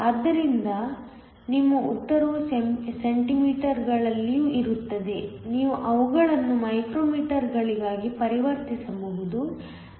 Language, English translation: Kannada, So, your answer will also be in centimeters, you can just convert them into micro meters